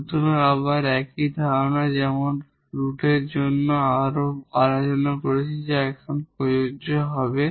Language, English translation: Bengali, So, again the same idea like we have discussed further for the real roots that will be applicable now